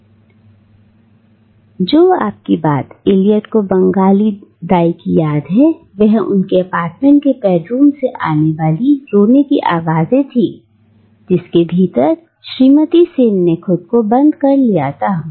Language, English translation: Hindi, And the last thing that Eliot remembers of his Bengali babysitter is the sound of crying coming out of the bedroom of her apartment within which Mrs Sen had locked herself in